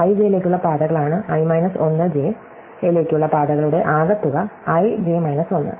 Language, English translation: Malayalam, So, the paths to (i,j) are the sum of paths to (i 1,j) and the paths to (i,j 1)